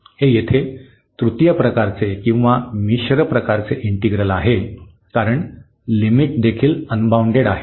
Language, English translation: Marathi, This is here the integral of third kind or the mixed kind because the limit is also unbounded